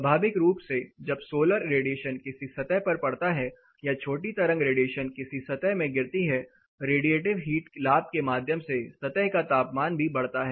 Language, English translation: Hindi, Naturally when sun falls the solar radiation short wave radiation falls in a surface it also enough through radiative heat gain it also increases the surface temperature